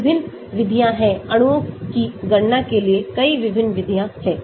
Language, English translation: Hindi, various methods are there, so many different methods for calculating the molecules is there